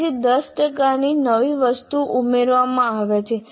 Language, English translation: Gujarati, Then 10% of new items are added